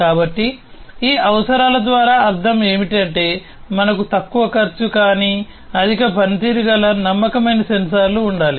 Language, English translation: Telugu, So, what is meant by these requirement is that we need to have low cost, but higher performing reliable sensors